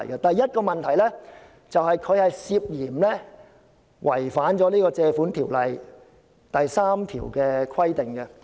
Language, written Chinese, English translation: Cantonese, 第一，該決議案涉嫌違反《借款條例》第3條的規定。, First the Resolution is suspected of violating the provision in section 3 of the Loans Ordinance